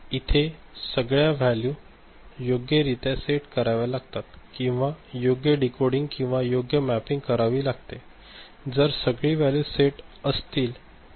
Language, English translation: Marathi, So, you have to set these values appropriately or a proper decoding or mapping need to be done, if other values are set ok